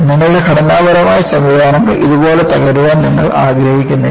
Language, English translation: Malayalam, And, you do not want to have your structural systems to collapse like that